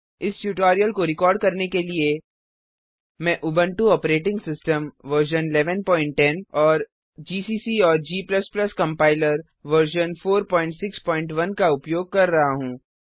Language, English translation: Hindi, To record this tutorial, I am using, Ubuntu Operating System version 11.10 gcc and g++ Compiler version 4.6.1